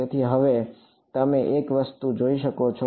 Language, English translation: Gujarati, So, now, you can see one thing